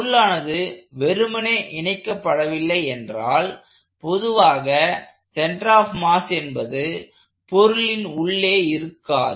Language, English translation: Tamil, So, as long as the body is simply connected, the center of mass lies inside the body